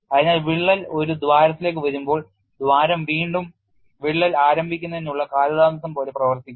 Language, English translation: Malayalam, So, when the crack comes to a hole, the hole acts like a delay in rickrack initiation